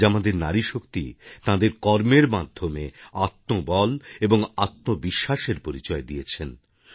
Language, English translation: Bengali, Today our woman power has shown inner fortitude and selfconfidence, has made herself selfreliant